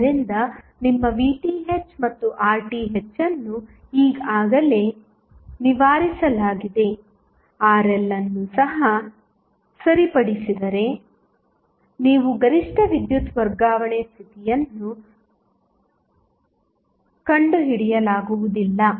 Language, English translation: Kannada, So, your Vth and Rth is already fixed, if Rl is also fixed, you cannot find the maximum power transfer condition